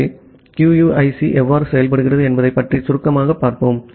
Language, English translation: Tamil, So, let us look briefly about how QUIC works